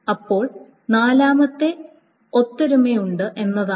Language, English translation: Malayalam, Then the fourth one is that there is a concurrency